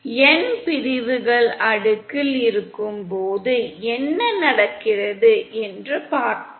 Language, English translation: Tamil, Let us see what happens when n sections are cascaded